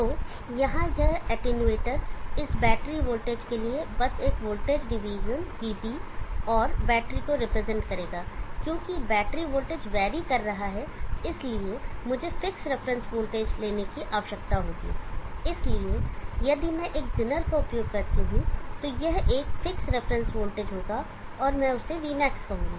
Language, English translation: Hindi, So this attenuator here just a voltage division for this batter voltage will represent VB and from the battery because the battery voltage can be varying so I will need to take a fixed reference voltage so if I use a zener then this would be a fixed reference voltage and I will call that one as vmax